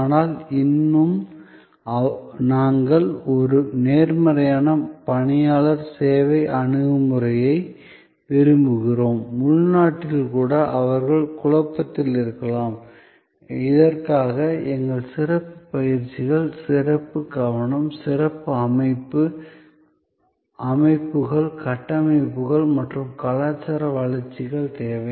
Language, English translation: Tamil, But, yet we want a positive personnel service approach, even internally they may be in turmoil for which we need special trainings, special attentions, special organization, systems, structures and cultural developments